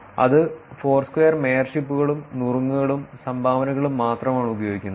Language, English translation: Malayalam, That was only using the Foursquare mayorship, tips and dones